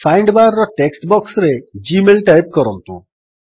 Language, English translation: Odia, In the text box of the Find bar, type gmail